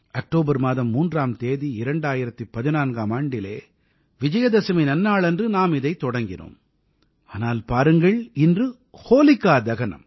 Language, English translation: Tamil, Then, on the 3rd of October, 2014, it was the pious occasion of Vijayadashmi; look at the coincidence today it is Holika Dahan